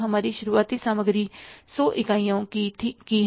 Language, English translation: Hindi, Our opening inventory is 100 units